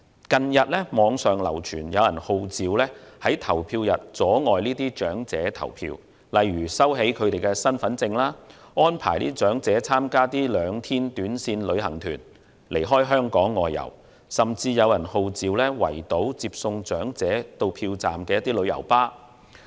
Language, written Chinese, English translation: Cantonese, 近日網上流傳，有人號召在投票日當天阻礙長者投票，例如收起他們的身份證、安排長者參加兩天短線旅行團離港外遊，甚至有人號召圍堵接送長者到票站的旅遊巴士。, There have been calls recently on the Internet for obstructing elderly people from voting on the polling day by for example taking away their identity cards making arrangements for them to go on a two days trip away from Hong Kong and even encircling and blocking tourist coaches used for transporting them to and from polling stations